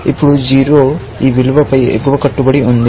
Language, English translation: Telugu, Now, 0 is the upper bound on this value